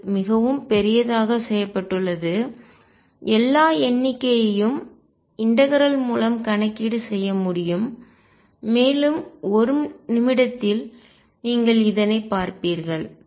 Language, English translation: Tamil, So, large that all the counting can be done through integration and you will see in a minute